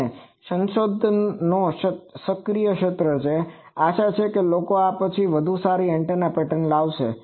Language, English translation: Gujarati, And this is an active area of research hopefully people will come up with better and better antennas after this